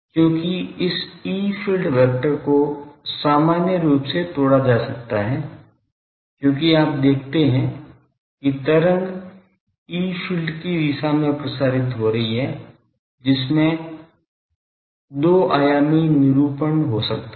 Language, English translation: Hindi, Because this E field vector in general that can be broken because you see wave is propagating in a direction the E field that is can have a 2 dimensional representation